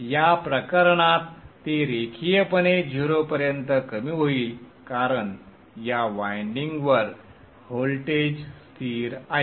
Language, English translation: Marathi, In this case it will linearly decrease to zero because the voltage across this winding is constant